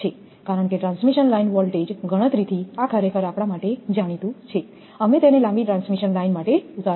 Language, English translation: Gujarati, This is actually known to us because from transmission line voltage calculation, we have derived it for long transmission line